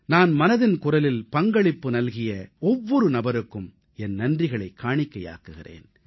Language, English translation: Tamil, I express my gratitude to the entire family of 'Mann Ki Baat' for being a part of it & trusting it wholeheartedly